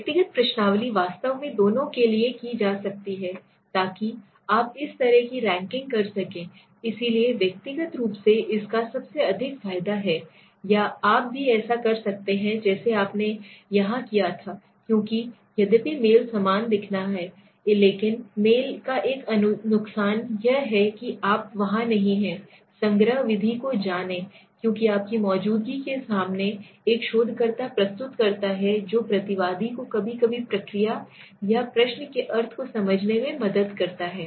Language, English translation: Hindi, Personal questionnaires can be done for both in fact so you can do this way for a kind of ranking or you can also do like you did here it so personal has the biggest advantage it has the most flexible one right, why I am seeing the most flexible because although the mail looks similar to it, but the mail has one disadvantage that you are not there which is possible in a personal you know collection method because your presence there is a researchers presents in front of the respondent helps into sometimes explain the process or the meaning of the question, okay